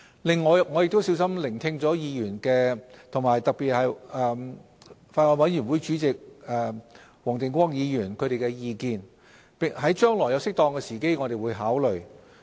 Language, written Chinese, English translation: Cantonese, 另外，我亦小心聆聽了議員的意見，特別是法案委員會主席黃定光議員的意見，將來於適當的時機我們會作考慮。, In addition I have carefully listened to Members views particularly the views of Mr WONG Ting - kwong Chairman of the Bills Committee and we will consider such views as and when appropriate in the future